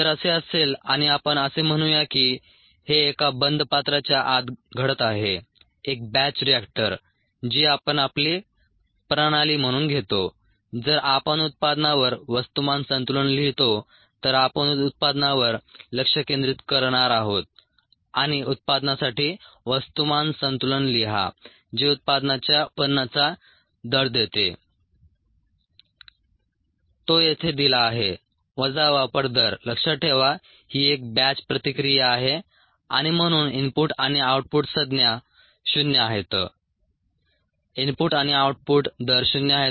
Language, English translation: Marathi, if this is the case and let us say this is occurring inside a closed vessel, a batch reactor, which we take as a system, if we write a mass balance on the product, we are going to focus on the product and write a mass balance for the product that gives the rate of generation of the product that is given here, minus the rate of consumption